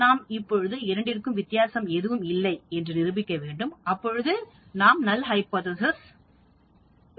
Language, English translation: Tamil, So you have to prove that there is no difference; that means, the null hypothesis is valid